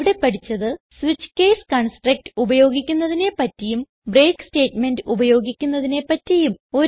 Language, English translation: Malayalam, In this tutorial we have learnt how to use switch case construct and how to use break statement